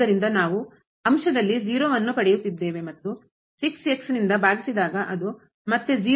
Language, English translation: Kannada, So, we are getting in the numerator and divided by which is again